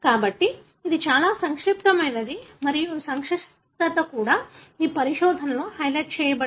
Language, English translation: Telugu, So, it is extremely complex and this complexity is also highlighted in these findings